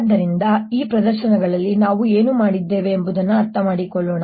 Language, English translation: Kannada, so let us understand what we have done in these demonstrations